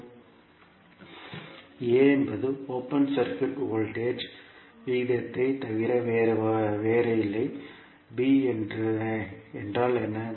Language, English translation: Tamil, a is nothing but open circuit voltage ratio, what is b